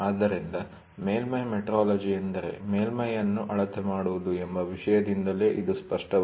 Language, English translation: Kannada, So, it is very clear from the topic itself surface metrology means, measuring the surface